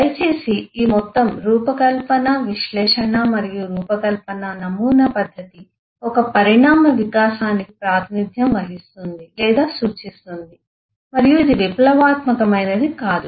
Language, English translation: Telugu, please note that this whole design, analysis and design paradigm, eh methodology has been a eh or represents an evolutionary development and not a revolutionary one